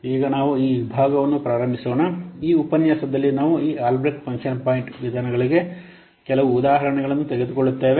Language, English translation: Kannada, Now let's start in this section, in this lecture we will take up some of the examples for this Albreast function point methods